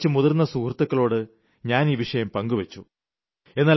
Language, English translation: Malayalam, I raised this topic with some of my senior colleagues